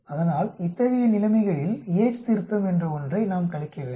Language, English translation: Tamil, So in such situations we need to subtract something called the Yate's correction